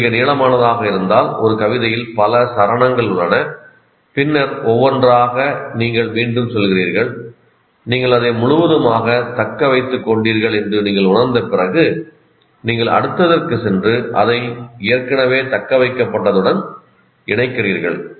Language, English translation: Tamil, And if it is a very long one, there are several stanzas in a poem, then each one by one you repeat and after you feel that you have retained it completely, then you move on to that and combine this into that